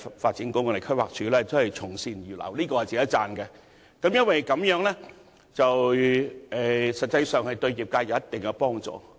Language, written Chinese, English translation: Cantonese, 發展局和規劃署從善如流，確實值得讚許，而有關資料實際上對業界有一定的幫助。, The Development Bureau and the Planning Department should be commended for implementing improvement measures correspondingly and the relevant information is helpful to the sector in some measure